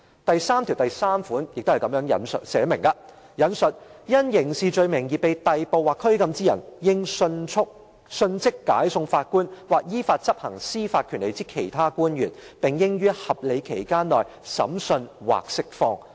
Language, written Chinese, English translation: Cantonese, "第九條第三項則訂明："因刑事罪名而被逮捕或拘禁之人，應迅即解送法官或依法執行司法權力之其他官員，並應於合理期間內審訊或釋放。, Article 93 reads I quote Anyone arrested or detained on a criminal charge shall be brought promptly before a judge or other officer authorized by law to exercise judicial power and shall be entitled to trial within a reasonable time or to release